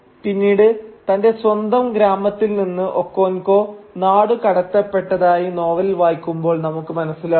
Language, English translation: Malayalam, And later on, if you read the novel you will see that Okonkwo gets exiled from his home village